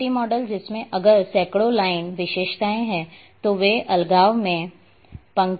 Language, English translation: Hindi, Spaghetti model in which if there is hundreds of line features they are lined in isolation